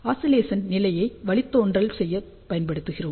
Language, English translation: Tamil, So, we put this oscillation condition to do the derivation